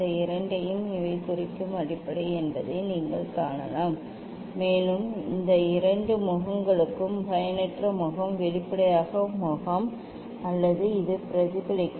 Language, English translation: Tamil, you can see these two are this is the base that mean these, and these two faces are the refracting face transparent face, or it can reflect also